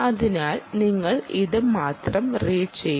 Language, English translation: Malayalam, so you will read only here